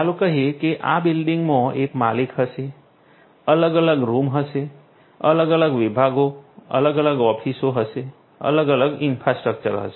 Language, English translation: Gujarati, This building will have an owner, this building has different rooms, different departments different offices, different you know different infrastructure in them